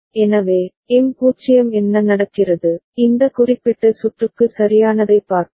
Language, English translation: Tamil, So, M is 0 what happens, let us see for this particular circuit right